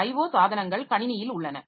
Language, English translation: Tamil, O devices are there in the system